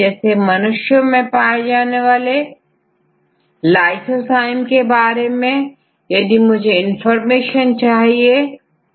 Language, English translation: Hindi, Let us say you want to get the information regarding human lysozyme